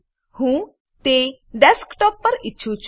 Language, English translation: Gujarati, I want it on Desktop